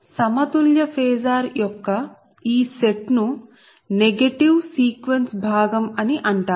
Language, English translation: Telugu, this set of balanced phasor is called positive sequence component